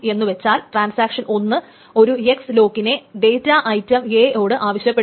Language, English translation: Malayalam, So this notation means that transaction T1 once transaction T1 requests an X lock on data item A